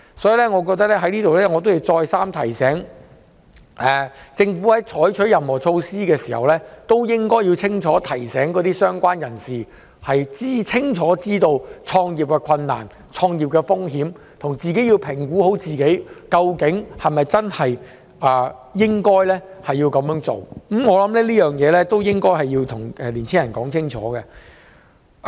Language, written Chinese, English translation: Cantonese, 所以，我在這裏要再三提醒，政府在推行任何措施時，應該提醒相關人士要清楚知悉創業的困難、風險及評估自己應否創業，我覺得需要跟青年人說清楚。, Therefore I must remind the Government again that before any supporting measures are introduced it should first warn aspiring entrepreneurs of the difficulty in and risks of starting a business so that they can make their own assessment . I think it is necessary to give young people a clear understanding